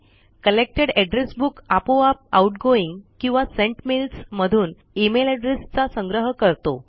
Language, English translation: Marathi, Collected address book automatically collects the email addresses from outgoing or sent mails